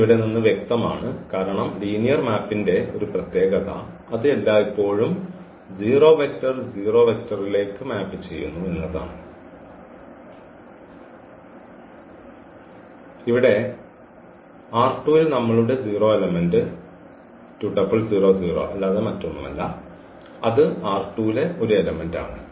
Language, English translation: Malayalam, And this is clear from here because one of the properties of the linear map is that it always maps 0 to 0 and we have here in R 2 our 0 element is nothing but 0 comma 0, that is the element in R 2